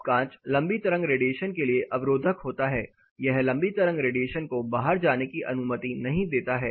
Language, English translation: Hindi, Now the glasses more insulating towards long wave radiation, it does not allow the long wave radiation to go out